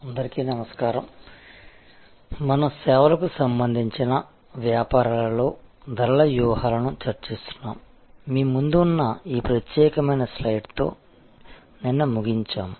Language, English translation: Telugu, Hello, so we are discussing pricing strategies in services businesses and we concluded yesterday with this particular slide, which is in front of you